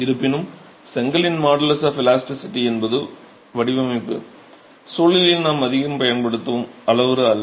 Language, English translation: Tamil, However, model is the elasticity of the brick itself is not a parameter that we use so much within the design context